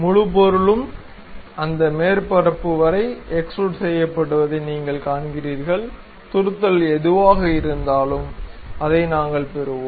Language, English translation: Tamil, So, if you are seeing that entire object is extruded up to that surface; whatever that projection is there, we will have it